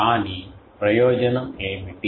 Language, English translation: Telugu, But what was the advantage